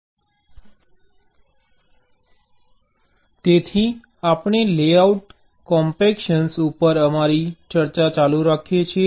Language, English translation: Gujarati, so we continue with our discussion on layout compaction